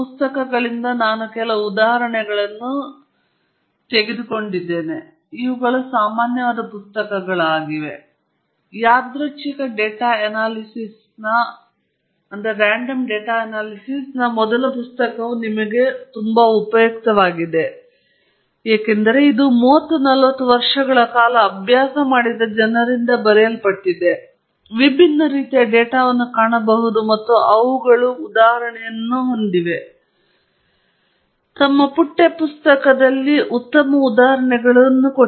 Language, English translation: Kannada, I have taken some of the examples and some material from these books; these are quite common books of which you may find the first book on Random Data Analysis very, very useful to you because it has been written by people who have practiced for 30 40 years, seen different kinds of data, and they have examples, very good examples in their text books